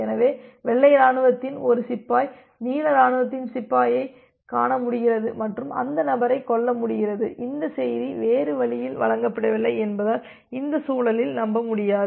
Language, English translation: Tamil, So, it may always happen that one soldier of white army is able to see that the soldier of the blue army and kill that person and the message is not delivered in the other way